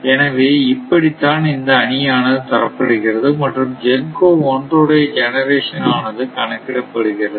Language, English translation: Tamil, So, that is that is why this matrix is given and how thus and GENCO 1 generation actually this one, it is already given here